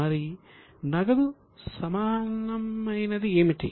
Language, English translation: Telugu, What is the cash equivalent